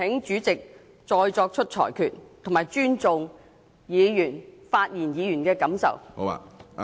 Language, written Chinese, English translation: Cantonese, 主席，請你再作出裁決，並尊重發言議員的感受。, President please make a ruling again to show respect to the feeling of the speaking Member